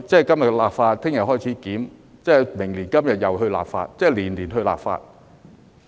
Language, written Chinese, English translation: Cantonese, 今天立法，明天開始檢討，明年今天又再立法，即是年年立法。, And today next year we will have to enact legislation again . That is to say we will have to enact legislation every year